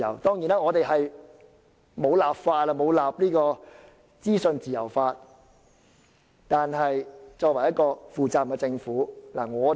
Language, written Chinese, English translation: Cantonese, 當然，本港並未訂立資訊自由法，但這是一個負責任的政府應做的事。, We are of course aware that Hong Kong has not yet drawn up a freedom of information law but we need to point out this is something that a responsible government should do